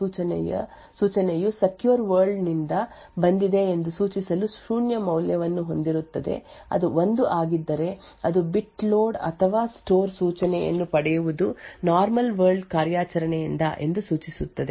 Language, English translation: Kannada, It would have a value of zero to indicate that the load of store operation or the instruction that is requested is from the secure world if it is 1 that bit would indicate that the load or store instruction fetch would be from a normal world operation